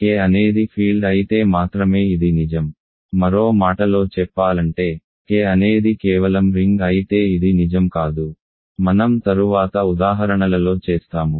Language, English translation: Telugu, This is only true if K is a field in other words if K is just a ring this is not true as we will do in examples later